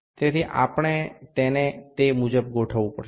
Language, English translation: Gujarati, So, we have to adjust it accordingly